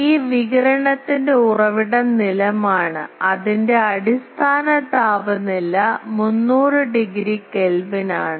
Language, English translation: Malayalam, Ground is the source of this radiation and its grounds equivalent temperature is around 300 degree Kelvin